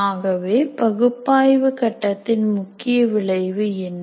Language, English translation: Tamil, So what is the key output of analysis phase